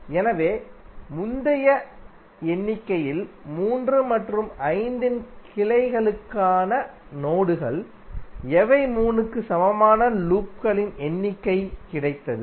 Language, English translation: Tamil, So, in the previous of figure the nodes for number of 3 and branches of 5, so we got number of loops equal to 3